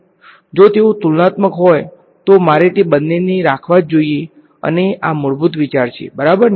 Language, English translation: Gujarati, If they are comparable, I must keep both of them and this is the basic idea ok